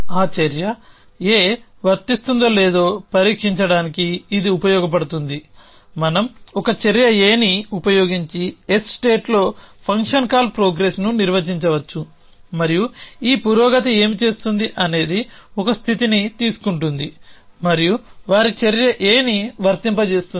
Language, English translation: Telugu, Then this can be used to test for that essentially whether action a is applicable we can define a function call progress let say in a state S using an action A and what this progress does is an a takes a state s and applies they action A